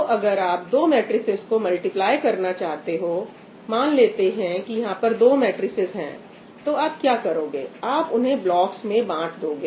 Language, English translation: Hindi, So, if you want to multiply 2 matrices, let us say, these are the two matrices, what you do is you divide them into blocks